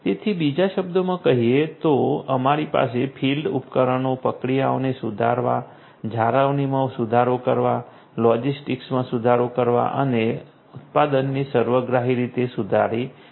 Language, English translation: Gujarati, So, in other words we could have field devices improve the processes, improve the maintenance, improve logistics, improve manufacturing holistically